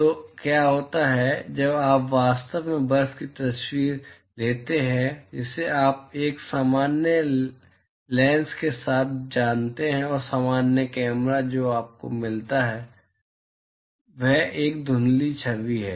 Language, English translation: Hindi, So, what happens is when you actually take pictures of snow you know with a normal lens and normal camera what you get is a blurred image